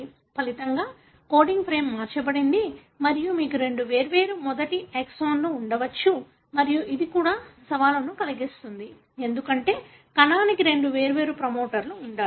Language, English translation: Telugu, As a result, the coding frame is shifted and you may have two different first exons and this also brings in challenge, because, the cell needs to have two different promoters